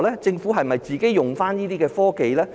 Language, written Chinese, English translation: Cantonese, 政府有否應用這些科技呢？, Has technology been applied by the Government?